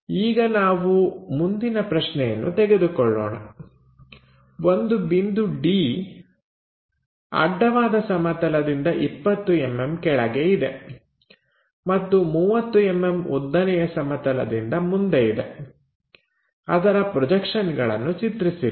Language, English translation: Kannada, Let us begin by looking through an example the first example is a point A is 20 millimetres above horizontal plane and 30 millimetres in front of vertical plane, then draw its projections